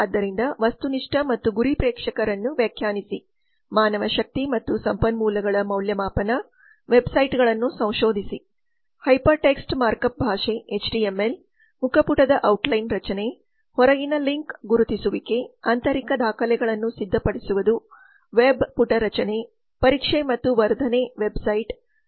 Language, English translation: Kannada, the marketing plan on internet so define objective and target audience evaluation of manpower and recourses research the web sites acquire the hyper text markup language HTML outline structure of the home page appropriate outside link identification prepare internal documents web page creation testing and enhancement of website and maintain website these are some of the marketing plans requirements of the internet